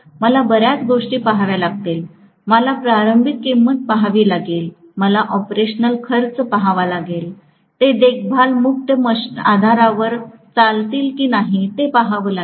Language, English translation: Marathi, I will have to look at several things, I have to look at initial cost, I have to look at operational cost, I have to look at whether they will run on a maintenance free basis